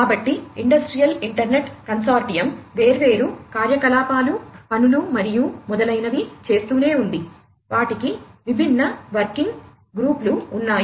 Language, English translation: Telugu, So, Industrial Internet Consortium continues to do different activities, tasks and so on, they have their different working groups